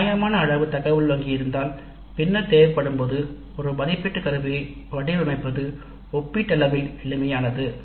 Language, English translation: Tamil, If you have a reasonably large item bank then it becomes relatively simpler to design an assessment instrument when required